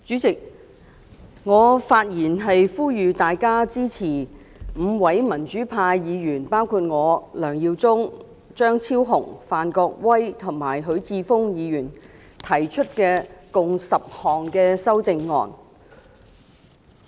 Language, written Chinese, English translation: Cantonese, 代理主席，我發言呼籲大家支持5位民主派議員，包括我、梁耀忠議員、張超雄議員、范國威議員及許智峯議員，提出的共10項修正案。, Deputy Chairman I speak to call on Members to support the 10 amendments proposed by five pro - democracy Members namely Mr LEUNG Yiu - chung Dr Fernando CHEUNG Mr Gary FAN Mr HUI Chi - fung and I